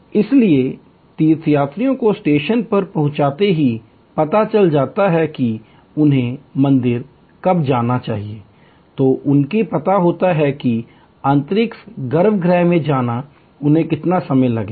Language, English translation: Hindi, So, pilgrims know as soon as they arrive at the station that when they should go to the temple, they know how long it will approximately take them to go in to the inner sanctum